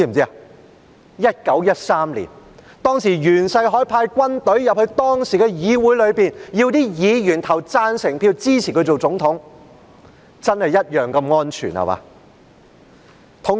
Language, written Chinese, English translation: Cantonese, 是1913年，當時袁世凱派軍隊進入議會，要求議員投贊成票支持他成為總統，真是同樣地"安全"，對嗎？, It was in the year 1913 when YUAN Shikai sent the army to the parliament and asked Members to vote in support of his assumption of the Presidency and really that was as safe as it is now right?